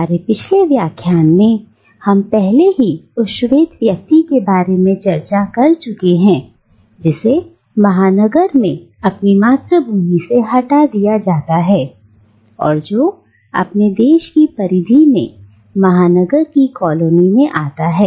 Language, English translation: Hindi, Now, in our previous lectures we have already discussed a bit about the white man who is removed from his homeland in the metropolis and who comes to the colonial periphery to the colony of the metropolis